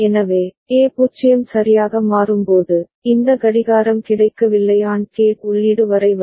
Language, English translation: Tamil, So, when A becomes 0 right, so this clock is not available it is coming up to the AND gate input right